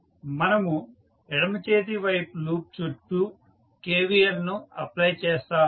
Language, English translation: Telugu, We will apply KVL around the left hand loop so this is the left hand loop